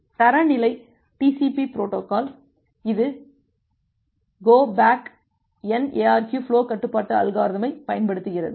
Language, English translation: Tamil, So, the standard TCP protocol, it uses this go back N it go back N ARQ for flow control algorithm